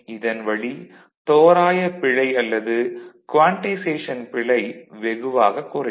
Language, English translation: Tamil, So, that way the approximation error or quantization will be reduced